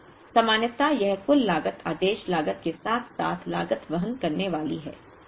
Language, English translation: Hindi, Now, ordinarily this total cost is going to be order cost plus carrying cost